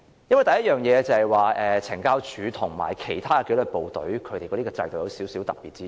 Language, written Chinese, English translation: Cantonese, 第一，懲教署與其他紀律部隊的制度有少許特別之處。, First the system of the Correctional Services Department CSD differs slightly from other disciplinary forces